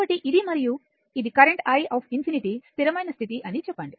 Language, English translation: Telugu, So, this is my and this is my current say i infinity a steady state